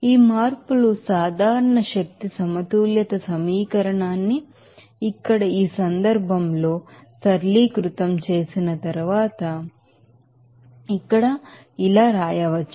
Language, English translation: Telugu, These changes the general energy balance equation can be written as here like this after simplification like this in this case here